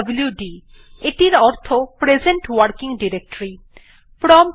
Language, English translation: Bengali, It is pwd, that stands for present working directory